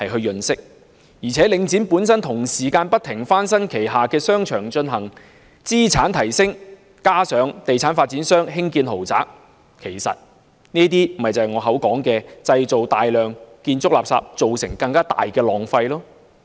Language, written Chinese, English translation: Cantonese, 而且，領展本身同時不停翻新旗下商場，進行資產提升，加上地產發展商興建豪宅，其實這些便是我所說製造大量建築垃圾，造成更大浪費的項目。, Meanwhile Link also keeps renovating its shopping arcades for asset enhancement . This coupled with the luxurious properties built by real estate developers is what I call projects creating massive construction waste which will end up wasting more